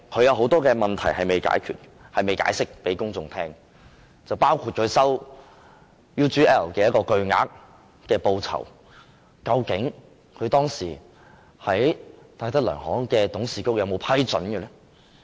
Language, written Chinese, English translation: Cantonese, 有很多問題梁振英仍未向公眾解釋，包括他收受 UGL 的巨額報酬，究竟當時戴德梁行的董事局有否批准？, There are many questions which LEUNG Chun - ying has not answered to the public . These questions include has the Board of Directors of DTZ Holdings plc given approval at the time for him to receive a huge reward from UGL?